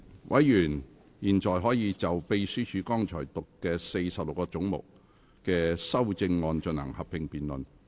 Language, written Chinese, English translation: Cantonese, 委員現在可以就秘書剛讀出46個總目的修正案進行合併辯論。, Members may now proceed to a joint debate on the amendments to the 46 heads read out by the Clerk just now